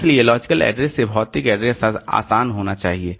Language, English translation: Hindi, So, logical to physical address should be easy